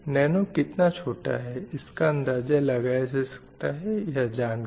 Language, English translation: Hindi, You can understand how small the nano is